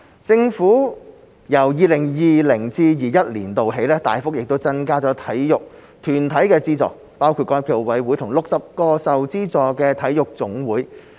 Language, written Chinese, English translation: Cantonese, 政府由 2020-2021 年度起大幅增加對體育團體的資助，包括港協暨奧委會和60個受資助體育總會。, Starting from 2020 - 2021 the Government will substantially increase its subvention for sports organizations including SFOC and 60 aided NSAs